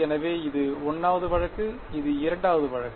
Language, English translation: Tamil, So, this is the 1st case, this is the 2nd case